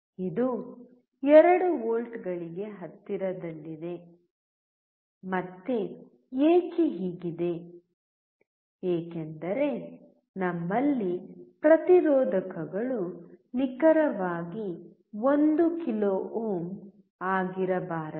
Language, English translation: Kannada, It is close to 2 volts; again why this is the case, because we have resistors which may not be exactly 1 kilo ohm